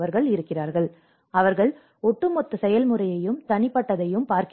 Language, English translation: Tamil, So, they look at the overall process as well as individual